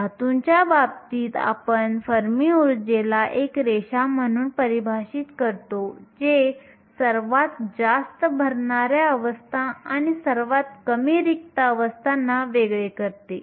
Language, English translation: Marathi, In the case of a metal, we define fermi energy as a line that separates the highest fill states and the lowest empty state